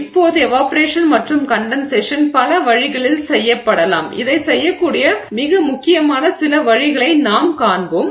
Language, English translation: Tamil, Now, evaporation and condensation can be done in multiple ways and we will see a few of the most prominent ways in which this can be done